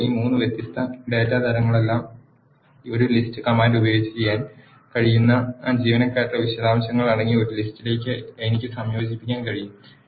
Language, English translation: Malayalam, Now, I can combine all these three different data types into a list containing the details of employees which can be done using a list command